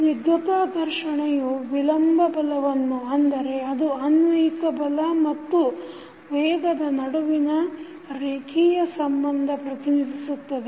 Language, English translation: Kannada, Viscous friction represents retarding force that is a linear relationship between the applied force and velocity